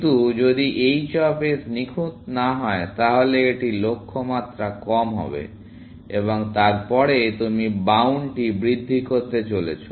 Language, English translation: Bengali, But if h of s is not perfect, it would just be short of goal little bit and then, you are going to increment the bound